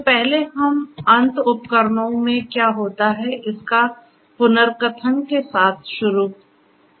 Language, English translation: Hindi, So, first let us start with a recap of what goes on with the end instruments, the end devices and so on